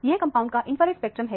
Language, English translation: Hindi, This is an infrared spectrum of the compound